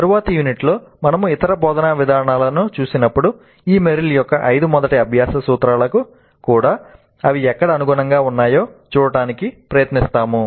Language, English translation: Telugu, And in the next unit we will look at an instructional design based on Merrill's 5 first principles of learning